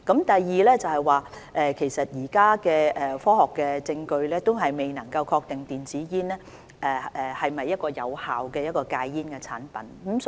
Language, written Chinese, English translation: Cantonese, 第二，現時的科學證據仍未能確定電子煙是否有效的戒煙產品。, Secondly there is a lack of scientific proof confirming that e - cigarettes are effective quit aids